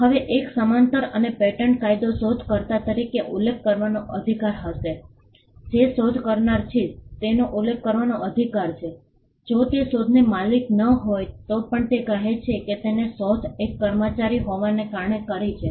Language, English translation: Gujarati, Now, a paralleled and patent law will be the right to be mentioned as the inventor, a person who is an inventor has the right to be mentioned even if he is not the owner of the invention say he created the invention being an employee